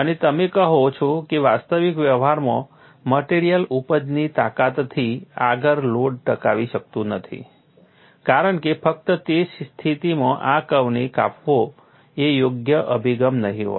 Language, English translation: Gujarati, And you say, in actual practice because the material cannot sustain load beyond the yield strength, simply cutting this curve at that position will not be the right approach